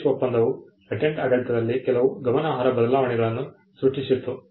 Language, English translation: Kannada, The PARIS convention created certain substantive changes in the patent regime